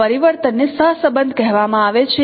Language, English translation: Gujarati, This transformation is called correlation